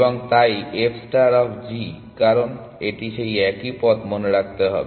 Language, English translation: Bengali, And, so on f star of g because, it is a same path remember